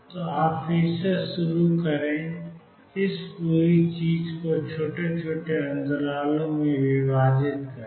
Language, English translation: Hindi, So, you start you again divide this whole thing into small small small intervals